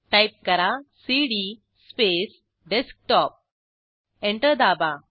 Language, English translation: Marathi, So, type cd space Desktop Press Enter